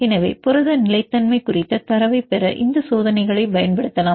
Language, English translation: Tamil, So, you can use these experiments to obtain the data on protein stability